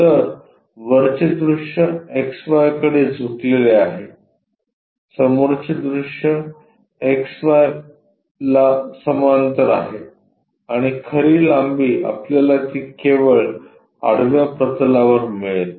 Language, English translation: Marathi, So, top view is inclined to X Y, front view is parallel to X Y and true length we will find it only on the horizontal plane